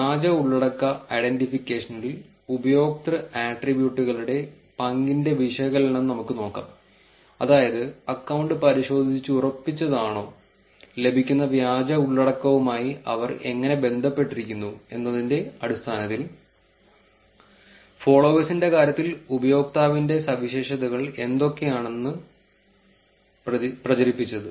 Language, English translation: Malayalam, Now let us look at the analysis of role of user attributes in fake content identification, which is what are the features in the user in terms of followers, in terms of whether the account is verified, how do they relate to the fake content that is getting propagated